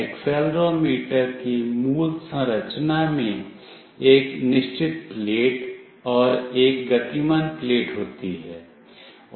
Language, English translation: Hindi, The basic structure of the accelerometer consists of a fixed plate and a moving plate